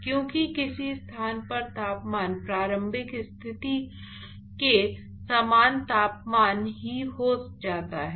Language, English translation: Hindi, Because in some location the temperature turns out to be the same temperature as the initial condition